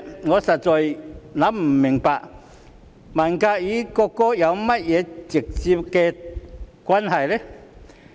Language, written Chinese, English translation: Cantonese, 我實在想不明白，文革與國歌有何直接關係？, Does the Cultural Revolution have anything directly to do with the national anthem? . I had no idea at all